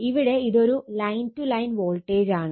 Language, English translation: Malayalam, Whenever you say line voltage, it is line to line voltage